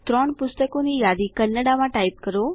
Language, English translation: Gujarati, Type a list of 3 books in Kannada